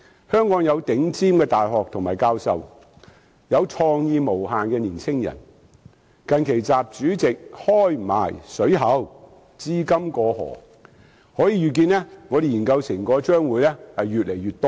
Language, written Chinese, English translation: Cantonese, 香港有頂尖的大學和教授，有創意無限的年青人，最近習主席更放寬讓資金"過河"，可以預見我們的研究成果將會越來越多。, Hong Kong is equipped with top - class universities and professors and also youngsters with unlimited creativity . Recently President XI even relaxed the relevant restrictions and allowed the cross - border flow of capital . Foreseeably the number of our research outcomes will increase